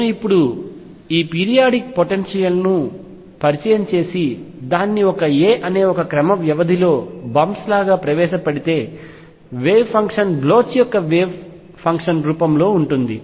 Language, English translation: Telugu, If I now introduce this periodic potential and let me introduce it like bumps at regular intervals of a, the wave function takes the form of Bloch’s wave function